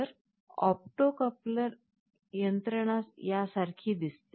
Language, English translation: Marathi, So, this opto coupler mechanism looks like this